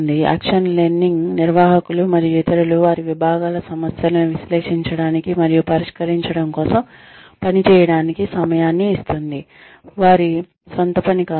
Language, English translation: Telugu, Action learning gives, managers and others, released time to work, analyzing and solving their problems, and departments other than their own